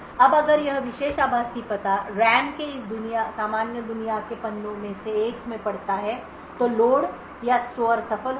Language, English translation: Hindi, Now if this particular virtual address falls in one of this normal world pages in the RAM then the load or store will be successful